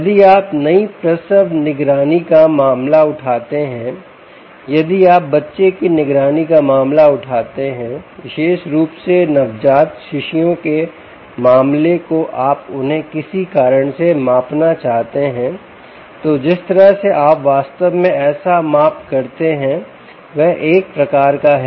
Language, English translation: Hindi, if you take the case of new natal monetary, if you take the case of baby monitoring, particularly newborn babies, you want to measure them for some reason, ah um, then the measurement, the way by which you actually make such a measurement, is one type